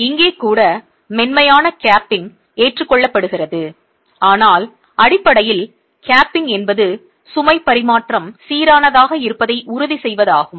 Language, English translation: Tamil, Again we have seen the effect of capping even here soft capping is adopted but basically the capping is to ensure that the load transfer is uniform